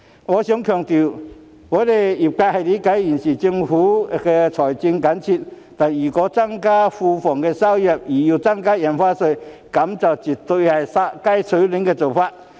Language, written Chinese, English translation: Cantonese, 我想強調，業界理解政府現時財政緊絀，但如果為了增加庫房收入而增加印花稅，這絕對是"殺雞取卵"的做法。, I would like to stress that the industry understands that the Government is facing budgetary constraints but if Stamp Duty is increased to generate more government revenues it is tantamount to killing the goose that lays golden eggs